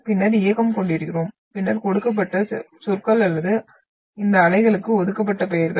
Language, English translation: Tamil, Then we are having motion and then the terminology which has been given or the names which have been assigned to these waves